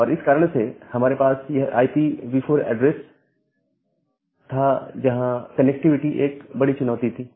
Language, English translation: Hindi, And because of that we had this IPv4 address, where connectivity was the major issue